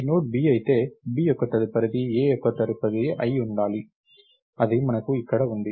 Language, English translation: Telugu, If this Node is B, B's next should be A’s next thats what we have here